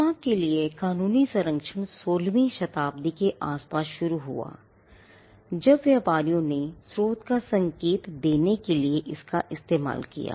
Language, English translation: Hindi, Legal protection for trademarks started around the 16th Century, when traders used it to signify the source